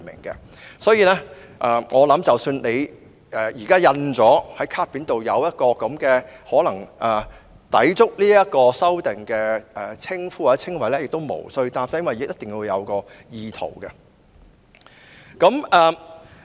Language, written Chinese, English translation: Cantonese, 因此，我相信即使現時卡片上已印有可能抵觸有關修訂的名稱或稱謂也不必擔心，因為還要視乎意圖這因素。, Therefore I believe even if the name or description currently printed on a persons name card has possibly breached the proposed amendments there is no need to worry because the element of intention must also be taken into consideration